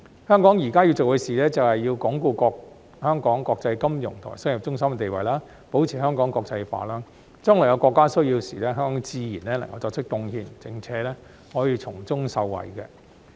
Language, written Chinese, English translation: Cantonese, 香港現在要做的事，便是要鞏固香港國際金融及商業中心的地位，保持香港國際化，將來國家有需要時，香港自然能夠作出貢獻，並可以從中受惠。, What Hong Kong needs to do now is to reinforce its status as an international financial and commercial centre and maintain its internationalization so that we will be able to make contributions and gain benefits when the country needs us in the future